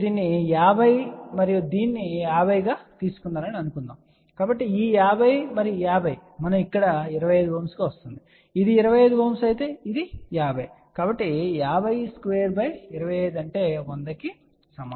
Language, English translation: Telugu, Suppose if you have taken this as 50 and 50, so this 50 and 50 we will get here as a 25 ohm ok and if this is 25 ohm this is 50, so 50 square divided by 25 I still get a 10